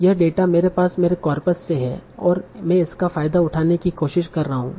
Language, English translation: Hindi, This data I have from my corpus and I am trying to exploit that for giving my smoothing